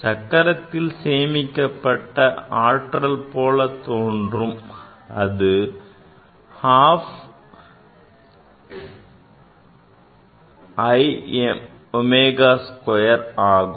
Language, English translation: Tamil, As if the energy stored in the wheel that is half I omega square